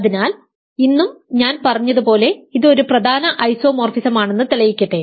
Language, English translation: Malayalam, So, let me re prove that today and as I said this is an important isomorphism